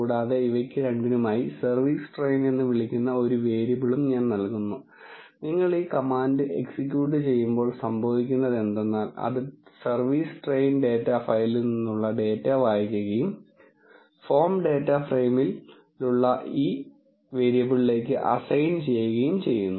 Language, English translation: Malayalam, And I am assigning this two a variable called service train when you execute this command what happens is, it reads a data from the service train data file and assign it to this variable which is of the form data frame